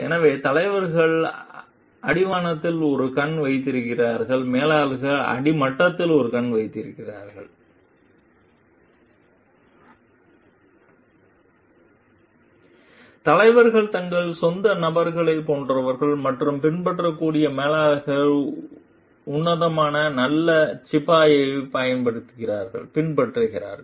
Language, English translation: Tamil, So, leaders keep an eye on the horizon; managers keep an eye on the bottom line Leaders are like their own persons and like emulate managers emulate the classic good soldier